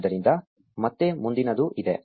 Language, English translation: Kannada, So, there is a next again